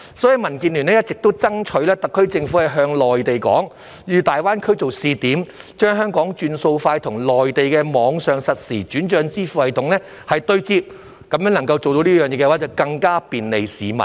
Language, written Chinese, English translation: Cantonese, 所以，民建聯一直爭取特區政府向內地建議以大灣區作為試點，將香港"轉數快"與內地的網上實時轉帳支付系統對接，如果能夠做到這一點，便能更加便利市民。, Therefore DAB has been urging the SAR Government to propose to the Mainland to use GBA as a testing ground to connect Hong Kongs Faster Payment System with the Mainlands online real - time payment system . If this can be done it will bring more convenience to the public